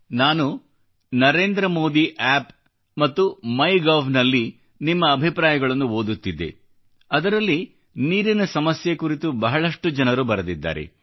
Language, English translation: Kannada, I was reading your comments on NarendraModi App and Mygov and I saw that many people have written a lot about the prevailing water problem